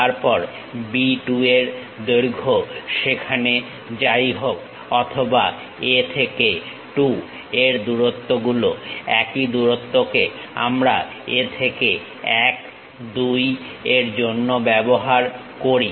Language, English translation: Bengali, Then whatever B 2 length is there or A to 2 length the same length we use it from A to 1 2